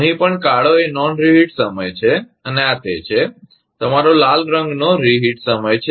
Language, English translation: Gujarati, Here also, black one is the non reheat time and this one is, your red one is the reheat time